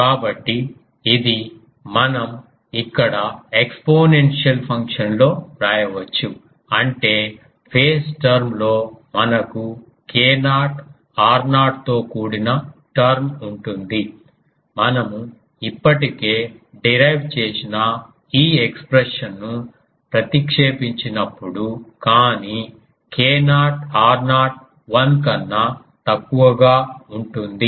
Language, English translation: Telugu, So, this we can write here in the exponential function; that means, in the phase term we will have a term involving k naught r naught; when we substitute the already derived this expression, but k naught r naught will be less than 1